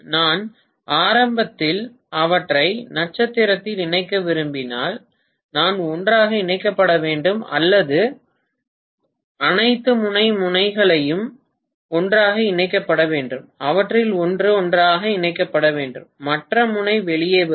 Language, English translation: Tamil, If I want to connect them in star all beginning, I have to be connected together or all end ends have to be connected together one of them have to be connected together and the other end will come out